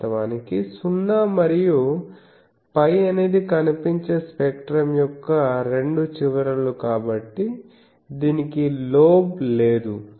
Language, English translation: Telugu, Actually, 0 and pi are the two ends of the visible spectrum so, that is why it does not have any a lobe